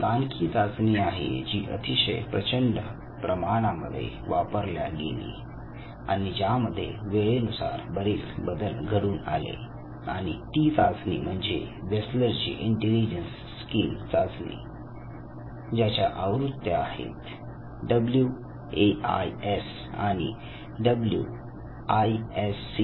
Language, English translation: Marathi, And another test which has undergone multiple revision and in my opinion perhaps this is one of the widely used test is the Wechsler intelligence skill which has both the versions the WISC and WAIS